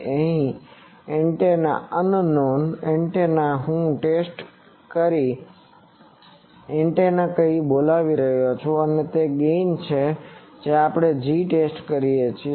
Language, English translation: Gujarati, Now, to the antenna unknown antenna here I am calling test antenna and it is gain let us say G test